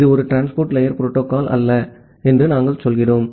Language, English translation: Tamil, It is or sometime we say that it is not at all a transport layer protocol